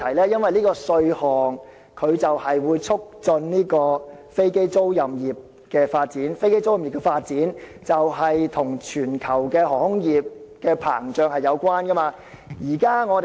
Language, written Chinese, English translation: Cantonese, 因為，有關稅項會促進飛機租賃業發展，而這般行業的發展與全球航空業的膨脹有關。, The case goes like this the tax measure concerned will promote the growth of the aircraft leasing industry and such a growth is related to the expansion of the global aviation industry